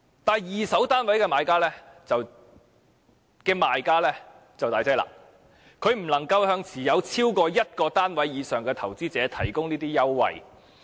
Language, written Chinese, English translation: Cantonese, 但是，二手單位的賣家便難以這樣做，他們不能向已經持有單位的投資者提供這類優惠。, Sellers of second - hand flats however can hardly do so . They cannot offer this kind of concessions to investors who are already property owners